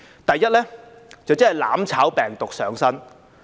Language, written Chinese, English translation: Cantonese, 第一是"攬炒"病毒上身。, First they are infected by the mutual destruction virus